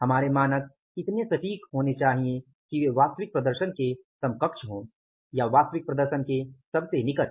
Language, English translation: Hindi, Our standards should be so accurate that they are at part with the actual performance or nearest most to the actual performance